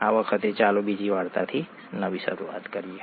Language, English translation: Gujarati, This time, let us start with another story